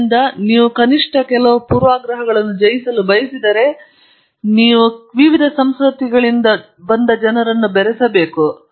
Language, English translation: Kannada, So, if you want to overcome at least some prejudices, you must mix people from different cultures